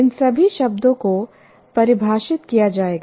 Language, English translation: Hindi, We have to define all these terms present